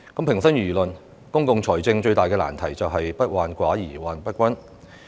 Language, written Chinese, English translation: Cantonese, 平心而論，公共財政最大的難題就是"不患寡而患不均"。, To be fair the most difficult problem in public finance does not lie in scarcity but distribution